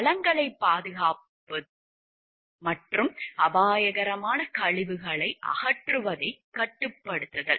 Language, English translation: Tamil, The conservation of resources and the control of disposal of hazardous waste